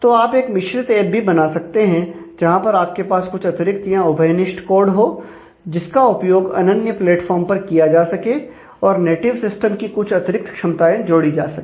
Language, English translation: Hindi, So, you could do a hybrid app also where, you could use redundant or common code, which is usable across platform and add some tailor functionality in terms of the native system